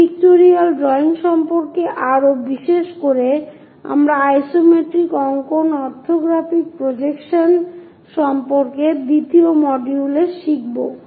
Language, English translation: Bengali, More about this pictorial drawings, especially the isometric drawings we will learn in orthographic projections second module